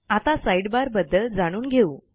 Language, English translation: Marathi, Next we will look at the Sidebar